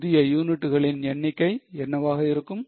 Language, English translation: Tamil, What will be the new number of units